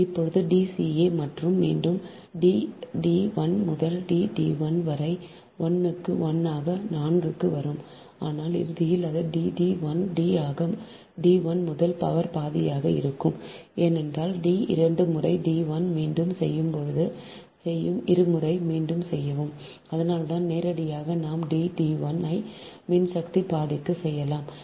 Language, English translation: Tamil, again it will come d d one into d, d, one to the power, one by four, but ultimately it will be d d one, d into d, one to the power half, because d will be repeated twice, d one also will be repeated twice